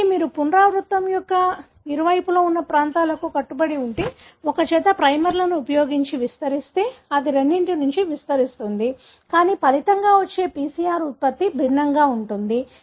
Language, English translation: Telugu, So, if you amplify using a pair of primers that are binding to the regions that are present on either side of the repeat, it would amplify from both, but the resulting PCR product would be different